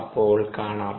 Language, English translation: Malayalam, see you then